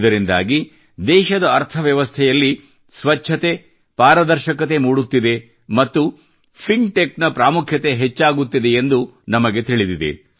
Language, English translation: Kannada, Through this the economy of the country is acquiring cleanliness and transparency, and we all know that now the importance of fintech is increasing a lot